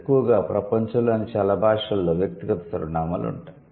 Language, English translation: Telugu, And mostly, most of the world's languages will have the personal pronouns